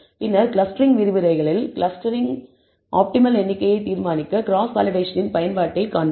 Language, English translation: Tamil, Later on, you will see in the clustering lectures, the use of cross validation for determining the optimal number of clusters